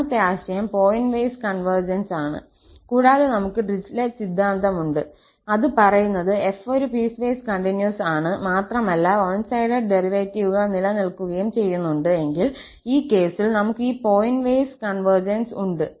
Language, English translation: Malayalam, The second notion was the pointwise convergence and we have the Dirichlet theorem which says that if f is piecewise continuous and those one sided derivatives exist, then, in that case, we have the pointwise convergence